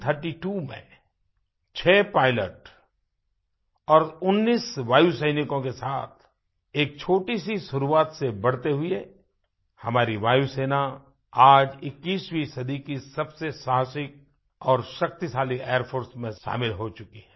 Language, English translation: Hindi, Making a humble beginning in 1932 with six pilots and 19 Airmen, our Air Force has emerged as one of mightiest and the bravest Air Force of the 21st century today